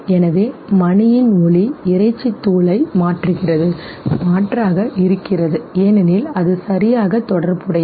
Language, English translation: Tamil, So the sound of the bell replaces the meat powder, substitutes because it is associated okay